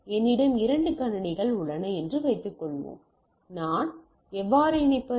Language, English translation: Tamil, Suppose I have two computers how do I connect